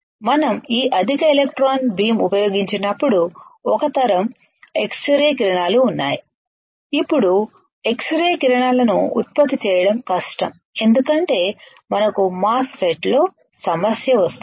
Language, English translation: Telugu, That when we use this very high electron beam then there is a generation of x rays, now this generation of x rays are difficult because we have it will cause a problem in MOSFET